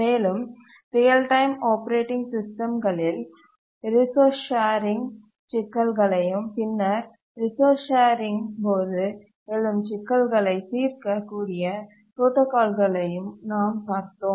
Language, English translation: Tamil, We had also looked at resource sharing problem in real time operating systems and we had looked at protocols to help solve the problems that arise during resource sharing